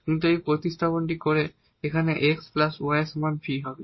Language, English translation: Bengali, So, when we substitute for v this was x plus y and the right hand side was also x